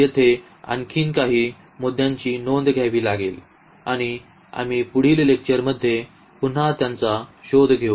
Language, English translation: Marathi, There are a few more points to be noted here and we will explore them in the next lecture again